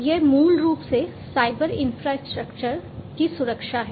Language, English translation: Hindi, So, it is basically the security of the cyber infrastructure that is there